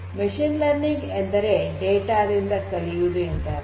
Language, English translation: Kannada, Machine learning means that you are learning, you are learning from this data